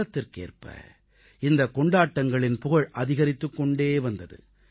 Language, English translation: Tamil, Such events gained more popularity with the passage of time